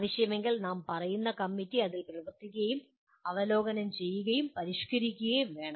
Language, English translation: Malayalam, If necessary, the committee that we are talking about should work on it and review and modify